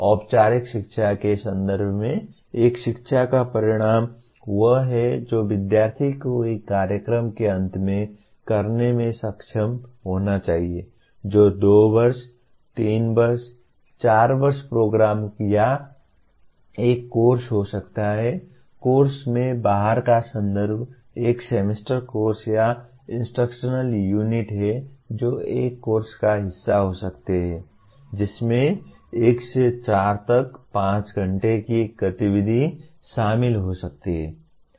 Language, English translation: Hindi, In the context of formal education, the outcome of an education is what the student should be able to do at the end of a program which is can be a 2 year, 3 year, 4 year program or a course, course in out context is a one semester course or an instructional unit which can be part of a course may consist of anywhere from 1 to 4, 5 hours of activity